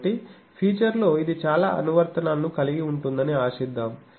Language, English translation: Telugu, So, hopefully this will have a lot of applications in feature